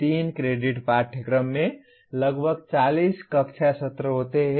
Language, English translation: Hindi, A 3 credit course has about 40 classroom sessions